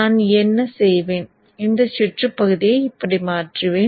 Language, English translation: Tamil, So what I will do I will flip this portion of the circuit like this